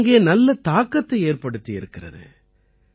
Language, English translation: Tamil, It has had a great impact there